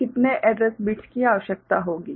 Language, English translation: Hindi, So, how many address bits will be required